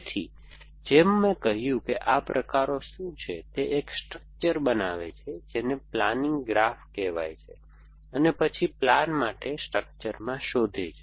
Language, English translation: Gujarati, So, as a name, as I, as I said what these types is it construct a structure called a planning graph and then searches in the structure for a plan